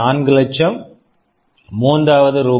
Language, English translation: Tamil, 5 lakhs and unit cost is Rs